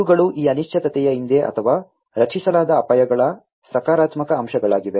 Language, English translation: Kannada, These are the positive aspects of behind this uncertainty or the risks that are created